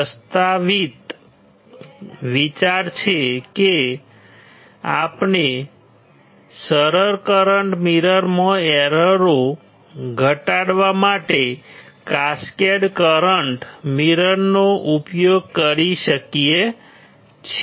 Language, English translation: Gujarati, The proposed idea is that we can use we can use a cascaded current mirror, to reduce the errors in the simplest current mirror